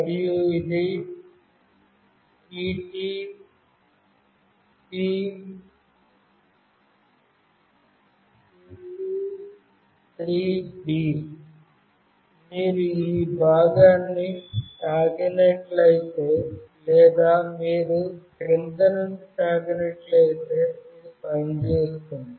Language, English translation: Telugu, And this is TTP223B; this is the area if you touch either this part or if you touch from below also it will work